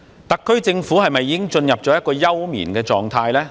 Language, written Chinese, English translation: Cantonese, 特區政府是否已經進入休眠狀態？, Has the Special Administrative Region SAR Government gone dormant?